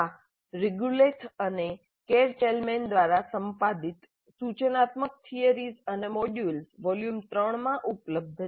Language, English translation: Gujarati, This is available in the instructional theories and models volume 3 edited by Regulath and Karl Chalman